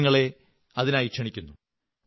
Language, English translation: Malayalam, I invite you